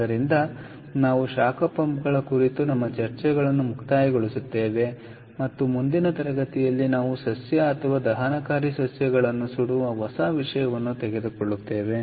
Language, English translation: Kannada, ok, all right, so we will conclude our discussions on heat pumps and in the next class we will take up a new topic, which is incinerating plant or incineration plants